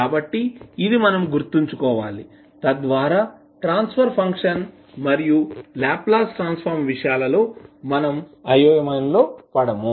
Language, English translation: Telugu, So, this we have to keep in mind, so that we are not confused with the transfer function and the Laplace transform